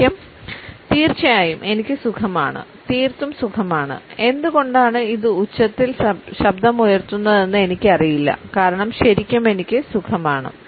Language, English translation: Malayalam, Absolutely I am fine totally fine I do not know why it is coming out all loud and squeaky because really I am fine